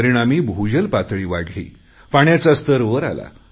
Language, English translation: Marathi, Due to this there has been an increase in the ground water level